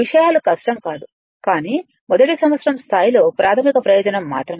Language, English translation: Telugu, Things are things are not difficult one, but only basic purpose at first year level